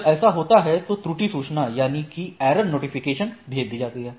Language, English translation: Hindi, When this happens the error notification is sends to the things